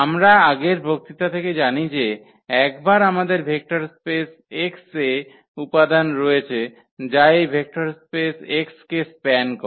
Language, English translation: Bengali, What we know from the previous lecture that once we have the elements in vector space x which span this vector space x